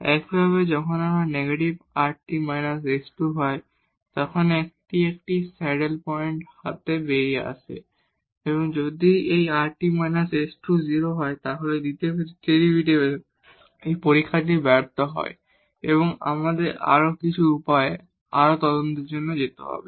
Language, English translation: Bengali, Similarly when this is negative rt minus s square then, this comes out to be a saddle point and if this rt minus s square is 0 then, this test of the second derivatives this fails and we need to go for further investigation by some other ways